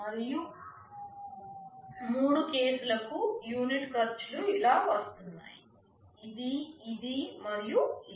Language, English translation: Telugu, And the unit costs for the three cases are coming to this, this and this